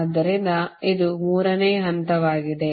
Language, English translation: Kannada, so this is the third step